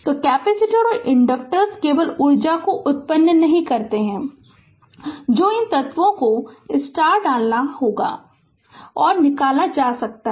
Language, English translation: Hindi, So, capacitors and inductors do not generate energy only the energy that has been put into these elements and can be extracted right